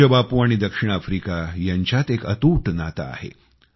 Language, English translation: Marathi, Our revered Bapu and South Africa shared an unbreakable bond